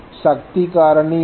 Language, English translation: Tamil, What is the power factor